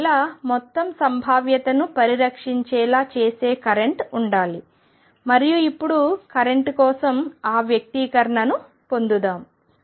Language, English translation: Telugu, And therefore, there should be a current that makes the whole probability conserve, and let us now derive that expression for the current